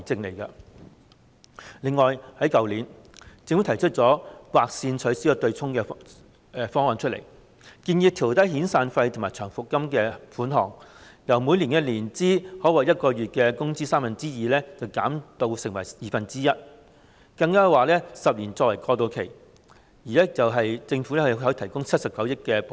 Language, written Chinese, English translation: Cantonese, 此外，政府在去年就取消強積金對沖提出"劃線"方案，建議調低遣散費和長期服務金款額，由每年年資可獲月薪的三分之二，減至二分之一，更建議設立10年過渡期，由政府向僱主提供79億元補貼。, In addition the Government put forward the draw the line option for the abolition of the offsetting arrangement under the MPF System last year . It proposed to reduce the amount of severance payment and long - term service payment by phase . It would be reduced from two thirds of the annual salary to one half of it